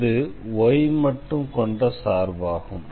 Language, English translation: Tamil, So, the function of y only